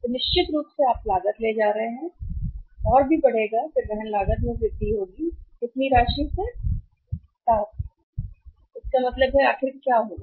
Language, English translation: Hindi, So, certainly you are carrying cost will also increase and then increase in the carrying cost will be by how much amount 7 so it means what will happen finally